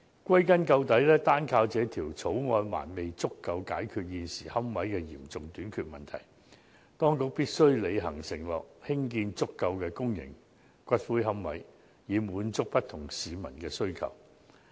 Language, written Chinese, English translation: Cantonese, 歸根究底，單靠這項《條例草案》不足以解決現時龕位嚴重短缺的問題，當局必須履行承諾，興建足夠的公營龕位，滿足不同市民的需求。, After all the Bill alone cannot sufficiently resolve the problem of a serious shortage of columbaria at present . The Administration must honour the commitment to build adequate public niches to meet the needs of different people